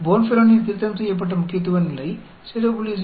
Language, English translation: Tamil, The Bonferroni corrected significance level is 0